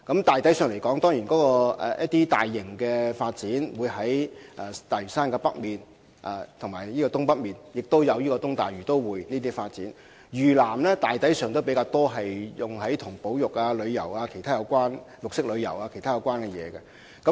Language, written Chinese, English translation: Cantonese, 大體來說，大型發展會在大嶼山北及東北進行，此外還有東大嶼都會發展，而嶼南大抵會進行與保育、旅遊、綠色旅遊等有關的項目。, Generally speaking large - scale development will be carried out in North and Northeast Lantau and there is also the East Lantau Metropolis development whereas projects related to conservation tourism and green tourism will presumably be undertaken in South Lantau